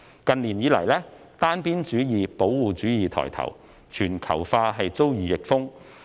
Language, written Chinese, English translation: Cantonese, 近年以來，單邊主義、保護主義抬頭，全球化遭遇逆風。, In recent years we have seen the rise of unilateralism and protectionism and the fall of globalization